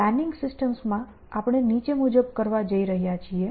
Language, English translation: Gujarati, So, in planning systems we are going to do the following